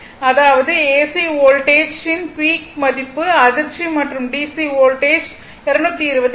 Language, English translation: Tamil, That means, in AC voltage you will get the peak value shock and DC voltage you will get 220